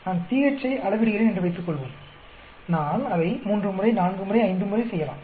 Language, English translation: Tamil, Suppose I am measuring pH, I may do it three times, four times, five times